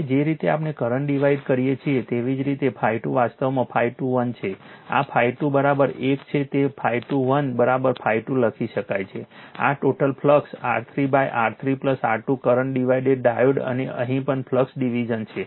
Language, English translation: Gujarati, Now, the way we do the current division same way the phi 2 actually phi 2 1 right, phi 2 is equal to this one it is phi 2 1 is equal to you can write the phi 1, this is the total flux into R 3 divided by R 3 plus R 2 the current division diode and here also flux division